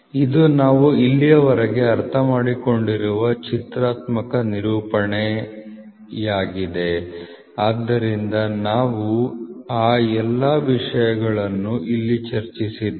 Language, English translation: Kannada, So, this is the pictorial representation of whatever we have understood till now, so we have put all those things here